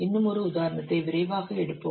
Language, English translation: Tamil, We'll take one more example quickly